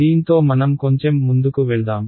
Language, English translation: Telugu, Let us move a little bit ahead with this